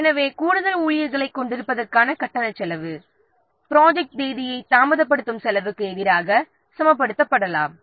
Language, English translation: Tamil, So, such as cost of hiring additional staff, it can be balanced against the cost of delaying the projects and date